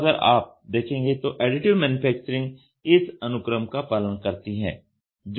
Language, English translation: Hindi, So, Additive Manufacturing if you see, it follows the schematic which is given here